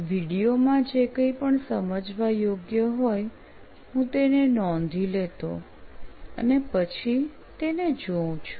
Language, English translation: Gujarati, So whatever the insights from the video, I used to note it down and then refer it later